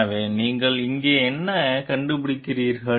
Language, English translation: Tamil, So, what you find over here